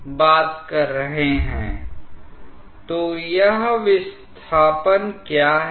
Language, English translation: Hindi, So, what is this displacement